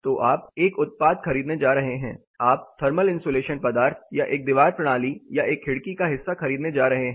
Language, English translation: Hindi, So, you are going to buy a product, you are going to buy a material thermal insulation material or a wall system or a window component